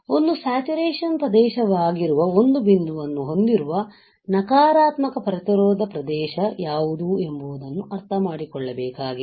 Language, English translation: Kannada, What is negative resistance region with a very point where is a saturation region